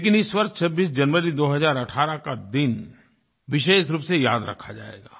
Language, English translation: Hindi, But 26th January, 2018, will especially be remembered through the ages